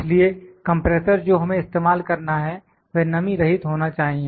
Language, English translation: Hindi, So, the compressor that we have to use, it has to be moisture free